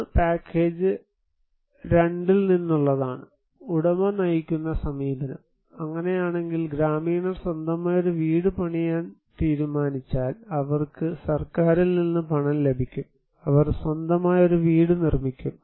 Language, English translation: Malayalam, One is from the package 2, there is owner driven approach; in that case, the villagers in which villagers decided to build their own house, they will get the money from the government and they will construct their own house